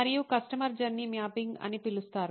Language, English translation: Telugu, And is something called customer journey mapping